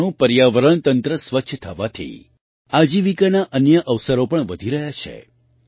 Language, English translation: Gujarati, With Ganga's ecosystem being clean, other livelihood opportunities are also increasing